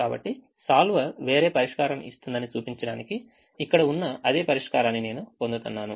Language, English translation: Telugu, so i get the same solution which is here, just to show that the solver is giving a different solution